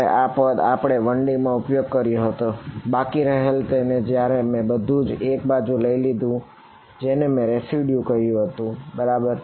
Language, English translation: Gujarati, So, that is also what was the term we had used in 1D, the residual when I took everything onto 1 side I called it the residue right